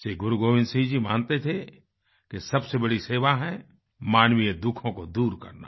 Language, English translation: Hindi, Shri Gobind Singh Ji believed that the biggest service is to alleviate human suffering